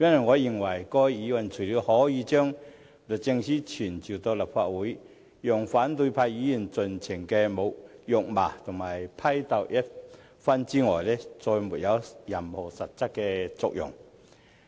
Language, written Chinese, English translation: Cantonese, 我認為該議案除了傳召律政司司長到立法會，讓反對派議員盡情辱罵批鬥一番外，再沒有任何實質作用。, I think this motion has no other substantial function other than summoning the Secretary for Justice to the Legislative Council to be chastised and denounced by opposition Members as much as they like